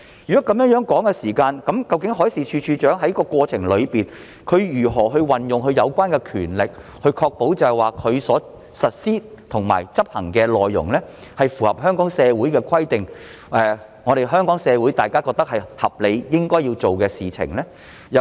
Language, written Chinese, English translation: Cantonese, 如果是這樣的話，海事處處長在過程中如何運用有關的權力，確保他所實施和執行的內容符合香港社會的規定，是香港社會大眾覺得合理、應當做的事情呢？, If this is the case how should DM exercise the powers during the process to ensure that what he implements and enforces complies with our social rules and is considered reasonable and fitting by Hong Kong society at large?